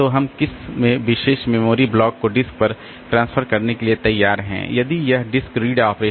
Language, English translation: Hindi, So, which particular memory block we are willing to transfer to the disk or if it is a disk read operation